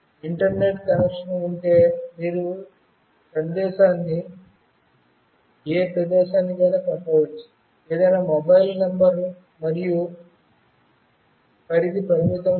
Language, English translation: Telugu, If internet connection is there, you can send the message to any place, any mobile number and range is not limited